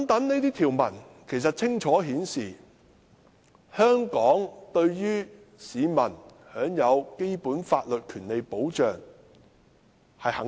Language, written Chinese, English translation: Cantonese, 這些條文清楚顯示，香港對於市民享有基本法律權利保障是肯定的。, These provisions indicated clearly that citizens entitlement to the protection of basic legal rights is recognized in Hong Kong